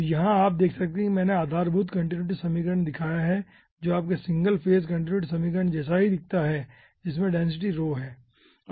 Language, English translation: Hindi, so here you see, i have given ah, the basic continuity equation looks like similar to your single phase continuity equation, having density rho